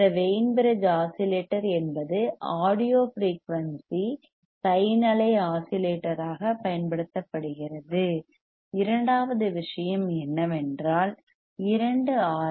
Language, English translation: Tamil, Now Wein bridge oscillator is an audio frequency sine wave oscillator of high stability and simplicity ok